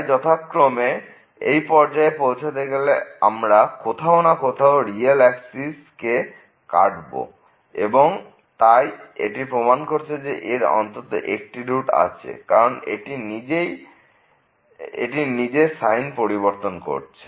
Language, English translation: Bengali, So, definitely to reach to this point it will cross somewhere the real axis and so, that proves the existence of one root in this case which confirms the existence of one root because this is changing its sign